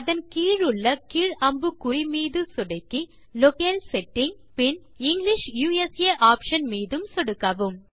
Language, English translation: Tamil, Below that click on the down arrow in the Locale setting field and then click on the English USA option